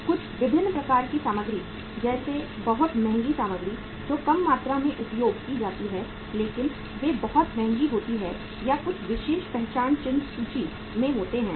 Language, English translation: Hindi, Some different types of materials uh like very expensive materials which are used in the small quantity but they are very expensive or some special identification mark are there, marks are there on the inventory